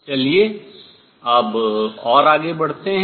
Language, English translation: Hindi, Now, let us go further